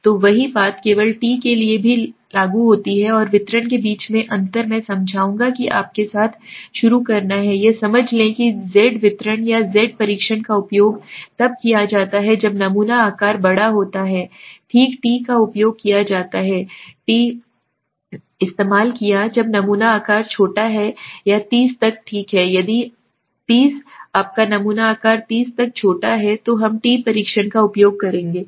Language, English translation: Hindi, So same thing will happen also applicable for t the only difference between a z and a t distribution I will explain is that to start with you have to understand that is z distribution or z test is used when the sample size is large, okay t is used t is used when sample size is small or up to 30 okay, 30 if your sample size is small up to 30 then we will use the t test, okay